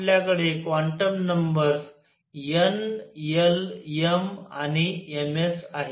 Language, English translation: Marathi, We have quantum numbers n, l, m and m s